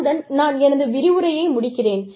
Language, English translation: Tamil, Now, that ends this particular lecture